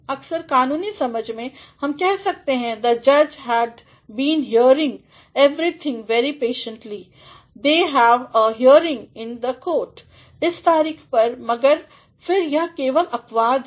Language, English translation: Hindi, Sometimes in a legal sense, we can say ‘the judge had been hearing everything very patiently, they have a hearing in the court on such in such date, but then these are simply exceptions